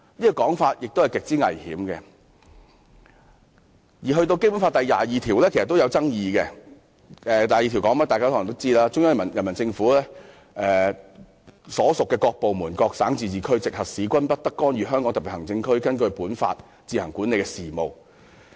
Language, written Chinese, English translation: Cantonese, 大家可能都知道《基本法》第二十二條的內容："中央人民政府所屬各部門、各省、自治區、直轄市均不得干預香港特別行政區根據本法自行管理的事務。, We may all know Article 22 of the Basic Law No department of the Central Peoples Government and no province autonomous region or municipality directly under the Central Government may interfere in the affairs which the Hong Kong Special Administrative Region administers on its own in accordance with this Law